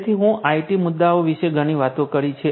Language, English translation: Gujarati, So, I have been talking a lot about the IT issues